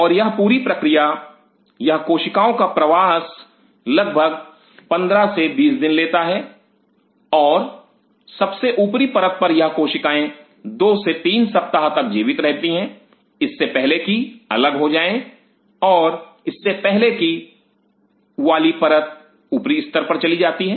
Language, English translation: Hindi, And this whole process this migration of the cell takes around 15 to 20 days and at the top layer these cells survive for 2 to 3 weeks before they are sluft off and the previous layer moves to the upper layer